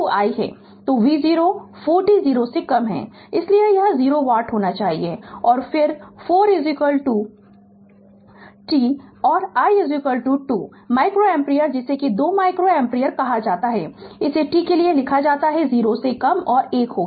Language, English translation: Hindi, So, v is 0 4 t less than 0, so it should be 0 watt and then v is equal to 4 t right and i is equal to 2 micro ampere by what you call 2 micro ampere here it is written for t greater than 0 less than 1